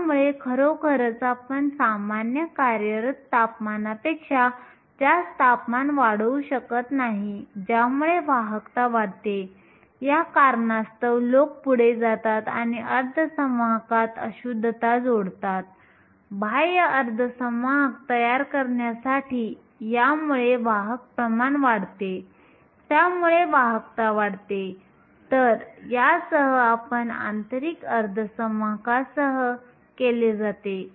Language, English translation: Marathi, So, really we cannot increase the temperature beyond the normal operating temperature to increase conductivity it is for this reason that people go ahead and dope or add impurities to an intrinsic semiconductor, in order to form extrinsic semiconductors this increases the concentration of careers and thus increases the conductivity